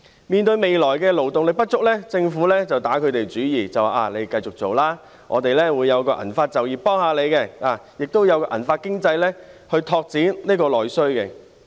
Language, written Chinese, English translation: Cantonese, 面對未來勞動力不足的問題，政府便打他們主意，叫他們繼續工作，說會推出銀髮就業措施來協助他們，並發展銀髮經濟來拓展內需。, In view of an insufficient labour force in the future the Government has turned its attention to them and called on them to continue to work saying that it will introduce silver - hair employment measures to help them and develop the silver - hair economy to boost domestic demand